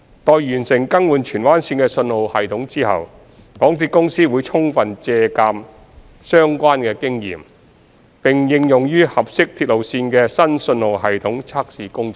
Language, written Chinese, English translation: Cantonese, 待完成更換荃灣綫的信號系統後，港鐵公司會充分借鑒相關的經驗，並應用於合適鐵路線的新信號系統測試工作中。, Upon the completion of the signalling system upgrade of Tsuen Wan Line MTRCL will draw on relevant experience and apply it to the testing of the new signalling system of other appropriate railway lines